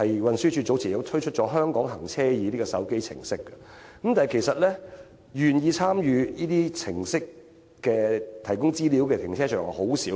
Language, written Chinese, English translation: Cantonese, 運輸署早前亦推出了"香港行車易"手機程式，但願意提供資料參與這類程式的停車場，其實甚少。, Earlier on the Transport Department has also launched a smartphone application Hong Kong eRouting . However only a few car parks are willing to participate in this initiative and provide the relevant information